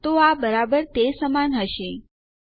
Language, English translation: Gujarati, So, this will equal exactly oh no